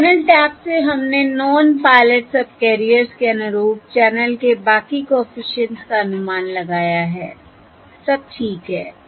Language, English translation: Hindi, And from the channel taps we estimated the rest of the channel coefficients corresponding to the non pilot subcarriers